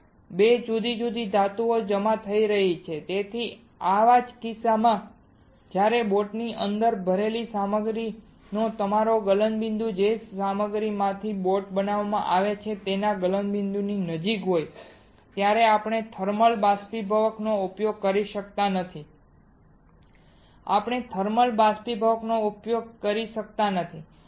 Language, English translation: Gujarati, 2 different metals will be depositing right that is why in such cases where your melting point of the material loaded inside the boat is close to the melting point of the material from which boat is made we cannot use thermal evaporator, we cannot use thermal evaporator